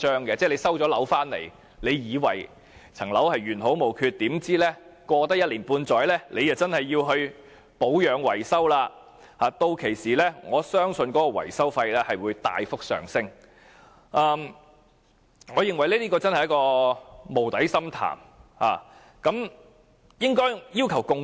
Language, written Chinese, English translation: Cantonese, 即是在收樓後，大家本以為樓宇原好無缺，豈料經過一年半載，便已需要保養維修，我更相信屆時的維修費將會大幅上升，這將會是一個無底深潭。, As is meant by what I have said after taking possession of the property everyone thinks it is fine and intact without expecting that after about a year it is already in need of repair and maintenance and I believe that by then the maintenance fee will greatly increase and become something like a bottomless pool